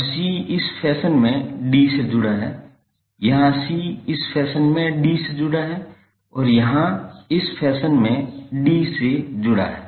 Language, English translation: Hindi, Now c is connected to d in this fashion here c is connected to d in this fashion and here c is connected to d in this fashion